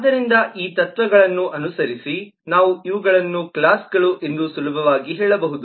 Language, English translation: Kannada, so, following these concepts, we can easily say these are the classes